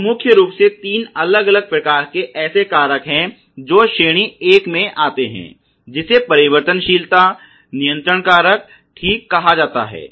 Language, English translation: Hindi, So, there are principally three different types of such factors which falls in the category one is called the variability control factor ok